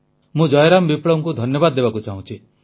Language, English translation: Odia, I want to thank Jai Ram Viplava ji